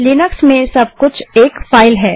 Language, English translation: Hindi, In linux, everything is a file